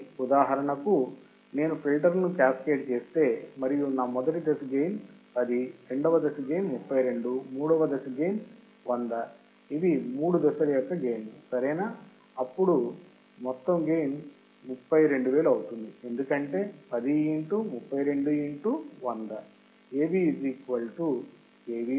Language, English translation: Telugu, So, for example, what is saying that if I cascade my filters and my first stage is 10, second stage is 32, third stage is 100, these are gain right then the overall gain would be 32,000 because 10 into 32 into 100 correct